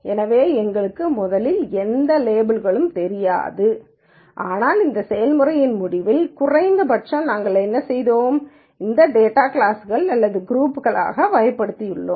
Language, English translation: Tamil, So, we originally do not know any labels, but at the end of this process at least what we have done is, we have categorized this data into classes or groups